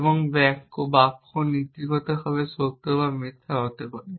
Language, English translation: Bengali, sentences either true or it is false essentially